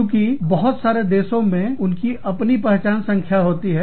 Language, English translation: Hindi, Since, many countries have their own identification numbers